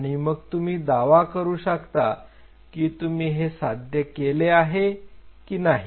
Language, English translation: Marathi, Then only you will be able to make a claim of whether you have achieved it or not